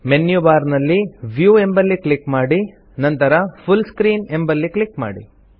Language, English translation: Kannada, Click on the View option in the menu bar and then click on the Full Screen option